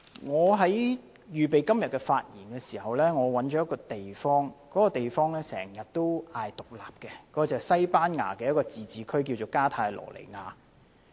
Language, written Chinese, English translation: Cantonese, 我在預備今天的發言時，留意到一個經常要求獨立的地方，便是西班牙一個自治區——加泰羅尼亞。, While I was preparing for todays speech it came to my attention that a place often seeks independence that is an autonomous community of Spain Catalonia